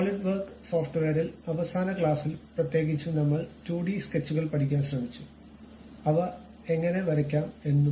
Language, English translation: Malayalam, In the Solidworks software, in the last class especially we tried to learn 2D sketches, how to draw them